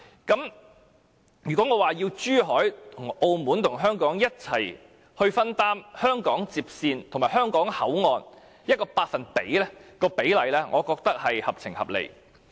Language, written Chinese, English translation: Cantonese, 因此，我要求珠海和澳門與香港共同分擔香港接線和香港口岸某個百分比的費用比例，我認為便是合情合理的。, Therefore I demand that Zhuhai and Macao jointly shoulder with Hong Kong a certain percentage of the expenditure on the HKLR and the boundary crossing facilities and I think this demand is fair and reasonable